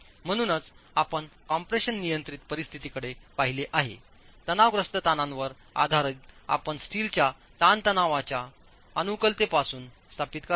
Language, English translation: Marathi, So, since you looked at compression control situation based on the compressive stresses you will establish from strain compatibility what the steel stresses are